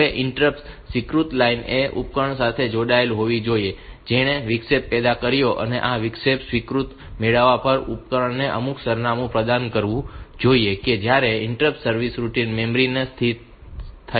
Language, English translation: Gujarati, Now, the protocol is like this that interrupt acknowledge line should be connected somehow to the device which has generated the interrupts and on getting this interrupt acknowledgment the device should provide some address from which the interrupt service routine has been located in the memory